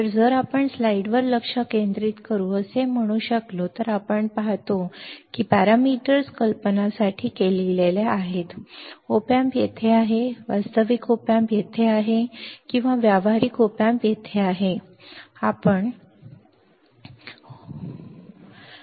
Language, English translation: Marathi, So, if you can say focus back on the slide what we see we see that the parameters are written for idea op amp is there and real op amp is there or practical op amp is there you see here that is what we were discussing right